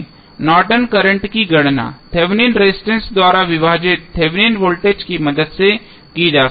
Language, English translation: Hindi, Norton's current can be calculated with the help of Thevenin's voltage divided by Thevenin resistance